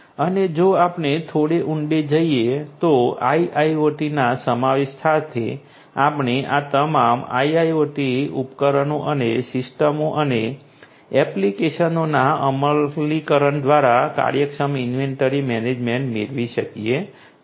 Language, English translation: Gujarati, And if we go little deeper down, so with the incorporation of IIoT we can have efficient inventory management through the implementation of all these IIoT devices and systems and applications